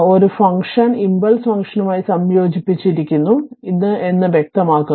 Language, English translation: Malayalam, It is clearly shows that a function is integrated with the impulse function